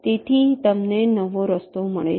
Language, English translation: Gujarati, so you get a path like this